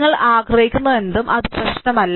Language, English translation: Malayalam, Whatever you want, it does not matter